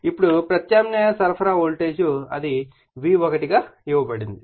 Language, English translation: Telugu, Now, an alternating supply voltage it is a V1 is given right